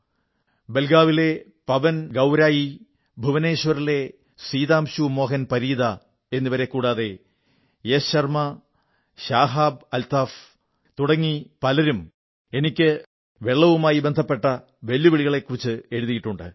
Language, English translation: Malayalam, PawanGaurai of Belagavi, Sitanshu Mohan Parida of Bhubaneswar, Yash Sharma, ShahabAltaf and many others have written about the challenges related with water